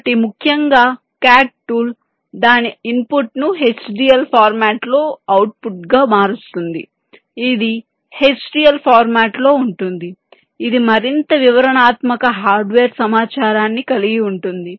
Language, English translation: Telugu, so, essentially, ah cad tool will transform its input, which is in a h d l format, into an output which is also in a h d l format, which will contain more detailed hardware information